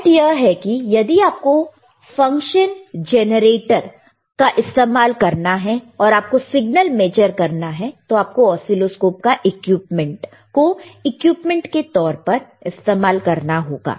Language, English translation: Hindi, The point is, if you want to use function generator, and you want to measure the signal, you can use oscilloscope as an equipment, all right